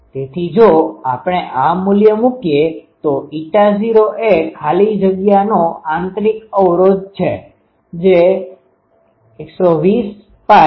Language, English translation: Gujarati, So, if we put this value eta naught is the intrinsic impedance of free space which is 120 pi divided by 2 pi